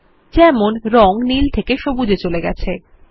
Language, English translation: Bengali, For example, the color shade moves from blue to green